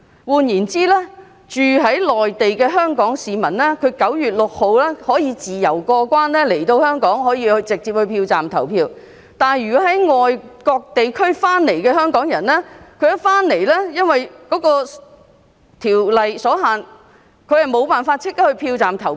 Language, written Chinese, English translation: Cantonese, 換言之，居住在內地的香港市民在9月6日可以自由過關來香港直接到票站投票，但從外國地區回來的香港人，則因為規例所限無法立即到票站投票。, In other words while Hong Kong citizens living in the Mainland can freely cross the boundary to Hong Kong and go directly to polling stations to cast their votes on 6 September the Hong Kong people returning from overseas places cannot go to polling stations immediately to vote subject to the regulation